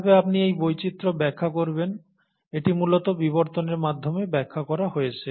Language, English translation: Bengali, So how do you explain this diversity, and that is essentially explained through evolution